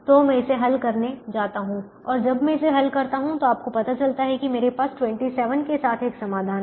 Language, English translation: Hindi, and when i solve this you realise that i have a solution with twenty seven